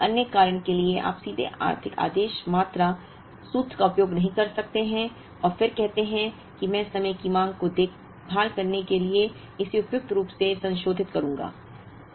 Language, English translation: Hindi, So, for another reason you cannot directly use the economic order quantity formula and then say that I will suitably modify it to take care of time varying demand